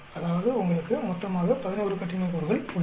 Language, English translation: Tamil, That means you have totally 11 degrees of freedom